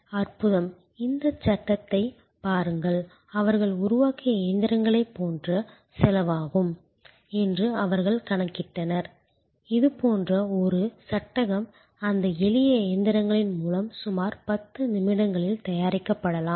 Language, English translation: Tamil, Wonderful, look at this frame it will cost something like they with the machines they had developed they calculated that maybe a frame like this can be produce by those simple set of machines in about 10 minutes